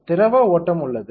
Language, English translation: Tamil, There is fluid flow